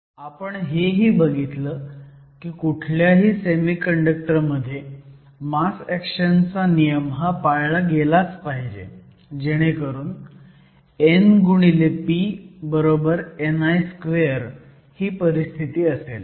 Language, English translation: Marathi, We also saw that in any semiconductor the law of mass action must always be satisfied so that n p is equal to n i square, which is a constant at a given temperature